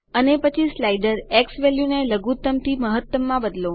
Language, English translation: Gujarati, And then move the slider xValue from minimum to maximum